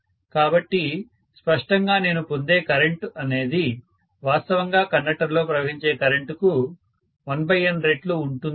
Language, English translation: Telugu, So obviously the current what I get here will be 1 by N times, whatever is the current that is actually there in the conductor, fine